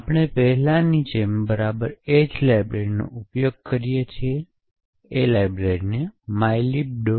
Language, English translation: Gujarati, So, we use exactly the same library as before, the library is called mylib